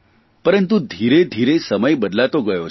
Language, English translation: Gujarati, But gradually, times have changed